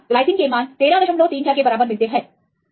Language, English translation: Hindi, So, we get the values here glycine equal to 13